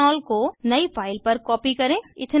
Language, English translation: Hindi, Copy Ethanol into a new file